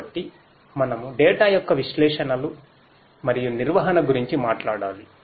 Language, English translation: Telugu, So, we have to talk about the analytics and the management of the data